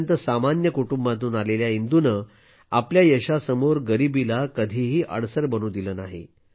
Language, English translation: Marathi, Despite being from a very ordinary family, Indu never let poverty become an obstacle in the path of her success